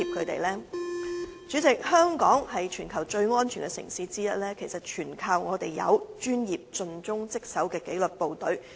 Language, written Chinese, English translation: Cantonese, 代理主席，香港是全球最安全的城市之一，全賴我們有專業和盡忠職守的紀律部隊。, Deputy President Hong Kong is one of the safest cities in the world and for this we owe our thanks to the professional and dedicated disciplined forces